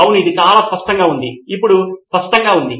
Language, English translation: Telugu, Yes, that is so obvious, blindingly obvious now